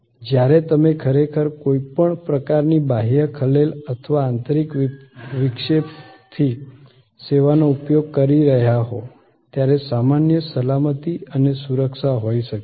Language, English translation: Gujarati, There can be in general safety and security, when you are actually using the service from any kind of external disturbances or internal disturbances